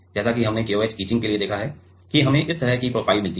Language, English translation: Hindi, As we have seen for KOH etching that we get a profile like this right